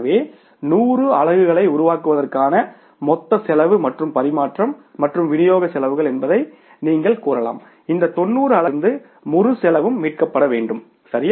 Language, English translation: Tamil, So, it means you can say that what is the total cost for generating the 100 units plus the transmission and distribution cost, that entire cost has to be recovered from these 90 units, right